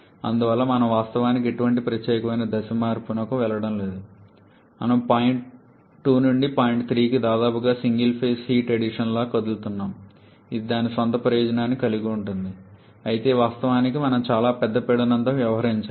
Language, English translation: Telugu, And therefore we are actually not going for any exclusive phase change we are just moving from point 2 to point 3 almost like a single phase heat addition which has is some advantage of its own but of course we have to deal with much larger pressure